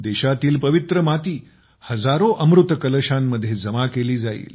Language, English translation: Marathi, The holy soil of the country will be deposited in thousands of Amrit Kalash urns